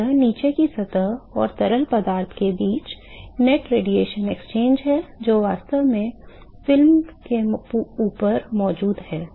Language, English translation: Hindi, So, this is the net radiation exchange between the bottom surface and the fluid which is actually present above the film